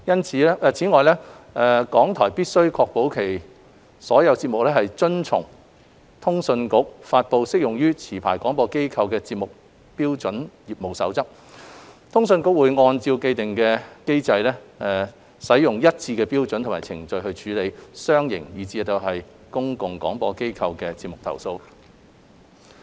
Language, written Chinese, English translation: Cantonese, 此外，港台必須確保其所有節目遵從通訊局發布適用於持牌廣播機構的節目標準業務守則，通訊局會按照既定機制，使用一致的標準及程序處理商營以至公共廣播機構的節目投訴。, In addition RTHK must ensure that all of its programmes comply with the relevant codes of practices issued by CA for regulating the standards of programmes broadcast by broadcasting licensees . CA adopts consistent standards and procedures in handling complaints about programmes of commercial as well as public service broadcasters in accordance with the established mechanism